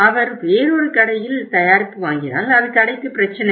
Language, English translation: Tamil, If he buys the product at another store then it is a problem to the store